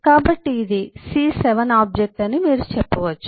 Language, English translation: Telugu, so you can say that this is a, so this is a c7 object